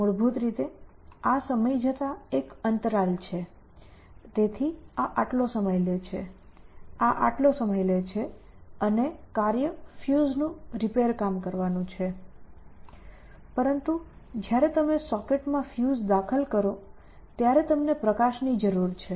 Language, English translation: Gujarati, Basically, this is a interval over time so, this takes so much time, this takes so much time and the task is to repair the fuse, but you need light when you inserting the fuse in to the socket